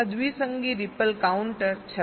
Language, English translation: Gujarati, this is binary counter